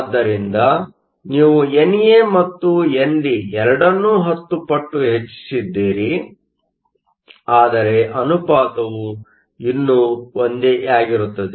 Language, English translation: Kannada, So, you have increased both NA and NA 10 times, but the ratio is still the same